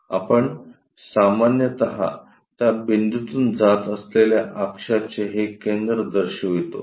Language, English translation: Marathi, We usually show this center of axis that is passing from that point comes from that point